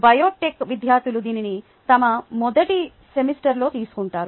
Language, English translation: Telugu, biotech s students take this in their first semester